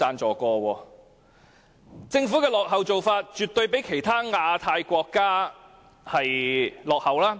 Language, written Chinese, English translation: Cantonese, 政府的做法絕對比其他亞太國家落後。, The Government absolutely lags behind other Asia Pacific countries in this respect